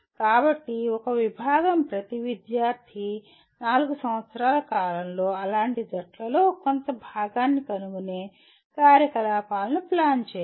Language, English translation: Telugu, So a department should plan activities in which every student will somehow find part of such teams during the 4 years’ period